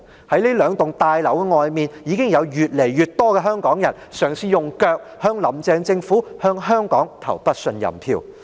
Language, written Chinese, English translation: Cantonese, 在這兩座大樓外面，已經有越來越多香港人嘗試用腳向"林鄭"政府、向香港投不信任票。, Outside these two buildings more and more Hong Kong people have attempted to cast a vote of no confidence in the Carrie LAM Administration and in Hong Kong with their feet